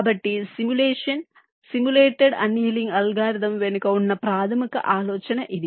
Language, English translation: Telugu, so this is the basis idea behind the simulation, simulated annealing algorithm